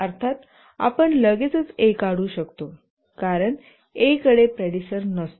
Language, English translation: Marathi, Of course we can straight away draw A because A has no predecessor